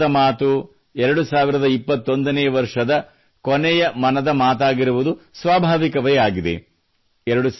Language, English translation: Kannada, It is natural that the next 'Mann Ki Baat' of 2021 will be the last 'Mann Ki Baat' of this year